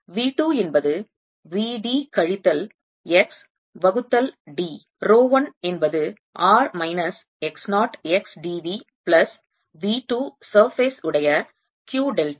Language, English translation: Tamil, v two is v d minus x divided by d, row one, which is q delta of r minus x, not x